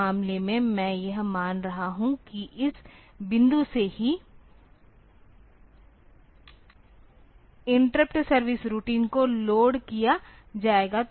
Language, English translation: Hindi, In this case I am assuming that from this point on itself the interrupt service routine will be loaded